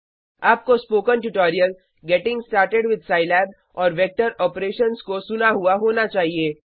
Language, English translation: Hindi, You should have listened to the Spoken Tutorial: Getting started with Scilab and Vector Operations